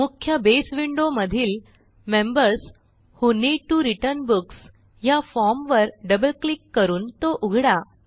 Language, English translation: Marathi, In the main Base window, let us open the Members Who Need to Return Books form by double clicking on it